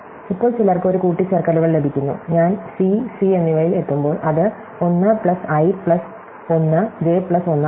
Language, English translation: Malayalam, now, some get an additions, when I reach c and c, it is 1 plus i plus 1 j plus 1